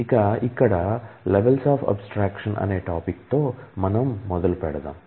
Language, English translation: Telugu, So, to start with we talk about levels of abstraction